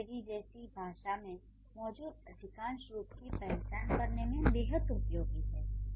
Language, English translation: Hindi, These are useful to identify most of the forms in a language such as English